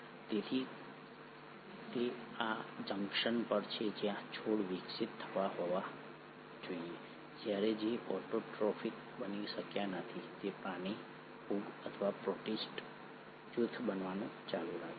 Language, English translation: Gujarati, So it is at this junction the branching must have happened where the plants must have evolved while the ones which could not become autotrophic continued to become the animal, a fungal or the protist group